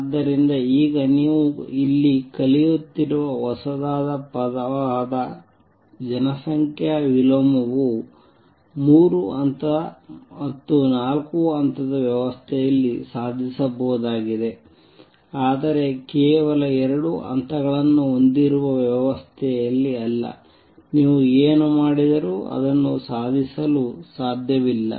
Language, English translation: Kannada, So, population inversion which is a new word now you are learning is achievable in a three level or four level system, but not in a system that has only two levels there no matter what you do you cannot achieve that